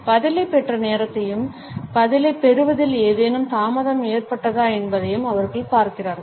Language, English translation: Tamil, They look at the time, when the response was received as well as if there is any delay in receiving the reply